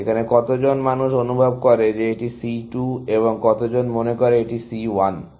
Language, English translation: Bengali, How many people here, feel it is C 2, and how many feel, it is C 1